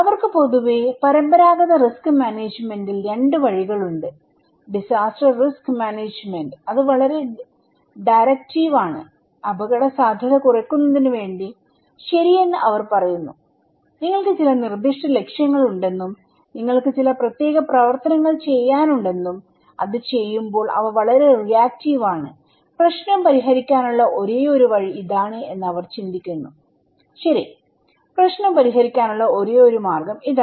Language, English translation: Malayalam, They generally have 2 way of conventional risk management; disaster risk management, they are very directive, they are saying that okay in order to reduce the risk, you should do that you have some specific goals and you have some specific actions to perform and while doing it, they are also very reactive, they think that this is the only way to solve the problem, okay, this is the only way to solve the problem